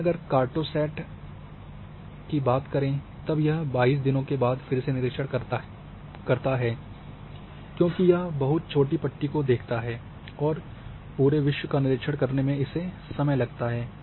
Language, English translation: Hindi, But if you talk about say cartosat then its revisit time might be after 22 days because it covers a very small strip and an order to cover the entire globe it takes time